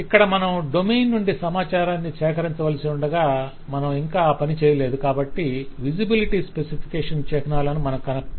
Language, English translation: Telugu, but here, since we are just capturing from the domain, we have not yet done that exercise, so you do not see the visibility specification symbols